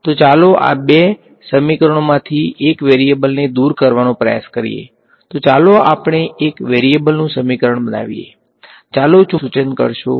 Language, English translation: Gujarati, So, let us try to eliminate one of the variables from these two equations, so let us make into a equation of one variable, let us remove the magnetic field ok